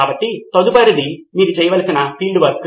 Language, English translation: Telugu, So the next is the field work that you need to be doing